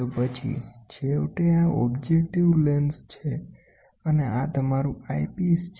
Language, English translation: Gujarati, So then finally, this is the objective lens this is the objective lens and this is your eyepiece